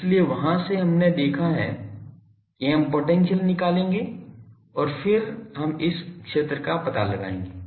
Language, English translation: Hindi, So, from there we have seen we will go to potential and then we will find out the field